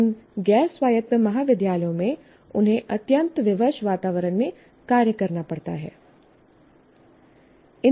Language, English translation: Hindi, In this non autonomous college, they have to operate in a very constrained environment